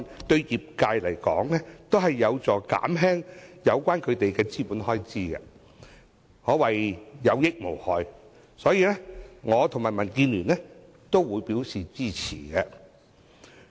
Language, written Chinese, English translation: Cantonese, 對業界而言，《條例草案》提出的修訂，將有助減輕他們的資本開支，可謂有益無害，所以，我和民主建港協進聯盟均表示支持。, To the industries the amendments proposed by the Bill are definitely beneficial as they can help lower their capital expenditure . So both the Democratic Alliance for the Betterment and Progress of Hong Kong DAB and I support the Bill